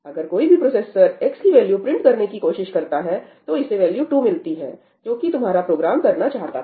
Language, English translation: Hindi, If any of the processors now tries to print the value of x it will get the value 2, which is what your program intended to do, right